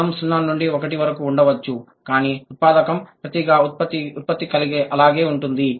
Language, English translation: Telugu, The journey might be from 0 to 1, but the input versus production that is remaining same